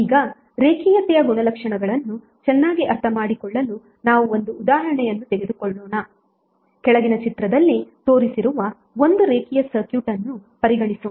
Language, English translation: Kannada, Now let us take one example to better understand the linearity property, let us consider one linear circuit shown in the figure below